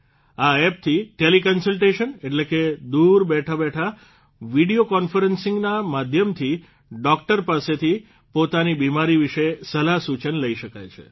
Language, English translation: Gujarati, Through this App Teleconsultation, that is, while sitting far away, through video conference, you can consult a doctor about your illness